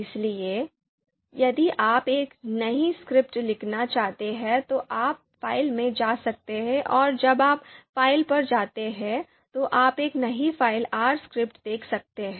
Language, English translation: Hindi, So typically if you want to write a new, if you want to you know write a new script then you can go to file and when you go to file you can see new file R script